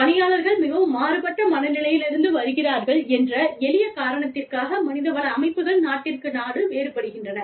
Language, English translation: Tamil, HR systems, vary from country to country, for the simple reason that, people are coming from, very different mindsets